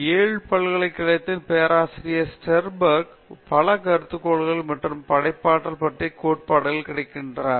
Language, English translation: Tamil, Sternberg of Yale University, numerous hypothesis and theories of creativity are available